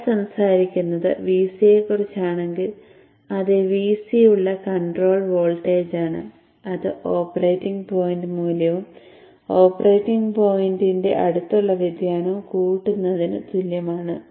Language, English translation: Malayalam, So if it is VC that we are talking of the control voltage, it is having a VC operating point value plus variation in the neighborhood of the operating point value